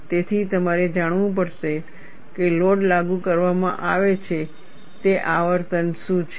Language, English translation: Gujarati, So, you will have to know what is the frequency with which load is being applied